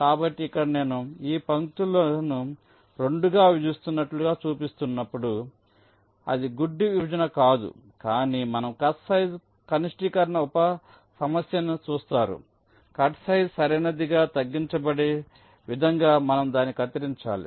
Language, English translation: Telugu, ok, so so here, whenever i am showing these lines as if they are dividing it up into two it is not blind division, but you look at the cut size minimization sub problem, you cut it in such a way that the cutsize is minimized right